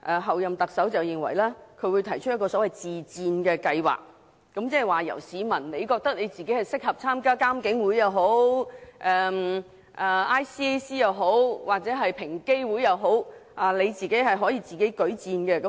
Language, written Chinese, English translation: Cantonese, 候任特首認為她會提出一個所謂自薦計劃，即是說如果市民認為自己適合參與獨立監察警方處理投訴委員會、香港廉政公署或平等機會委員會等，他們可以自薦。, The Chief Executive - elect holds that she will propose a so - called self - recommendation scheme . That is to say members of the public may make self - recommendations if they consider themselves suitable for participation in the Independent Police Complaints Council IPCC the Hong Kong Independent Commission Against Corruption the Equal Opportunities Commission etc